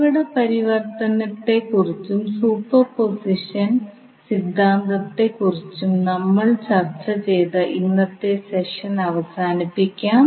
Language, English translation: Malayalam, So with this, we can close our today’s session in which we discussed about the source transformation as well as superposition theorem